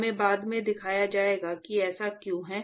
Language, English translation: Hindi, We will be shown later as to why that is the case